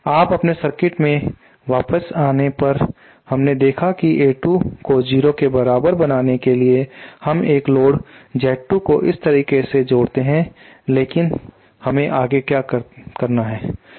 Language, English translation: Hindi, Now coming back to our circuit we saw that in order to make A 2 equal to 0 we simply connect a load Z 2 like this but then what how what do we do next